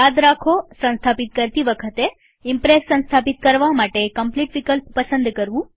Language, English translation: Gujarati, Remember, when installing, use theComplete option to install Impress